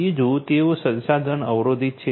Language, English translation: Gujarati, Secondly, they are resource constrained